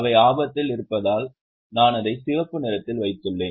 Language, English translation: Tamil, I have put it in the red because they are at a risk